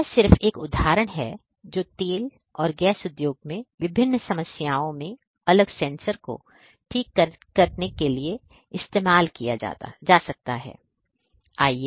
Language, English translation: Hindi, So, this is just an example like this different different sensors could be used to solve different problems in the oil and gas industry